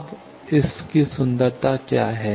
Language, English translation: Hindi, Now, what is the beauty of this